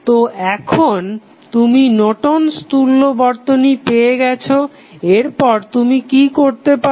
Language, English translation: Bengali, So, now you got the Norton's equivalent next what you can do